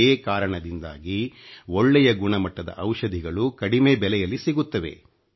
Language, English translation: Kannada, That is why good quality medicines are made available at affordable prices